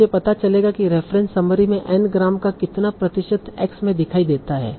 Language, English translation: Hindi, I'll find out what percentage of the n gram from the reference summaries appear in x